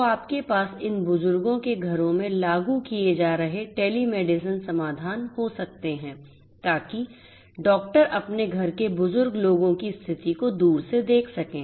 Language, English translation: Hindi, So, you can have you know telemedicine solutions being deployed being implemented in the homes of this elderly persons so that the doctors can remotely monitor the condition of this elderly people from their home